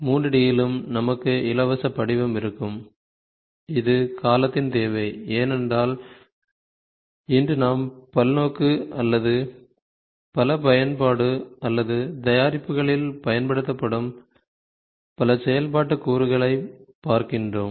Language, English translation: Tamil, In 3 D also we will have free form which is the need of the hour, because today we are looking at multi multipurpose or multi application or multiple functional doing components which are used in the products